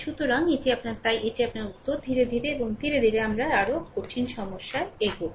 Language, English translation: Bengali, So, this is your ah ah so, this is your answer, right slowly and slowly we will take difficult problem